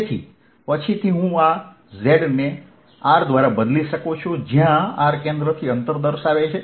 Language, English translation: Gujarati, so later i can replace this z by small r, where r will indicated the distance from the center